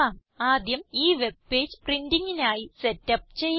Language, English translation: Malayalam, First lets set up this web page for printing